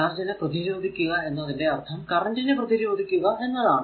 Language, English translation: Malayalam, If you resisting the flow of electric charge means it is basically resisting the flow of current, right